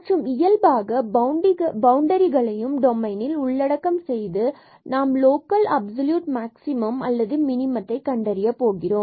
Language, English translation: Tamil, And we have to include naturally the boundaries as well or the boundary of the domain to find out such a local such a absolute maximum or absolute minimum